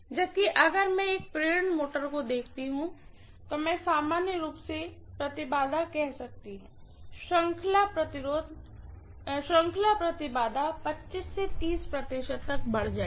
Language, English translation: Hindi, Whereas, if I look at an induction motor I can say normally the impedances, series impedances will add up to 25 to 30 percent